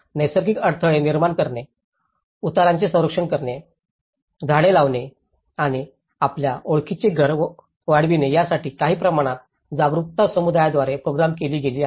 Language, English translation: Marathi, Construction of natural barriers, protecting slopes, planting trees and extending the house you know, some kind of awareness has been programmed with the community